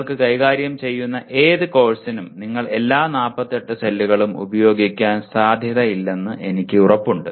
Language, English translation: Malayalam, that you are dealing with I am sure that you are unlikely to use all the 48 cells